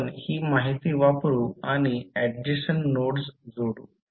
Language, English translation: Marathi, We will use that information and connect the adjacent nodes